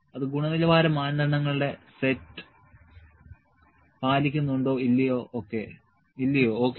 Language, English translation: Malayalam, I will put, does it meet the set of quality criteria or not ok